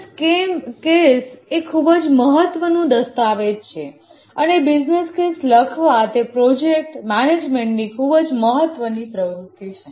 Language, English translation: Gujarati, A business case is a very important document and writing a business case is a important project management process, initiating process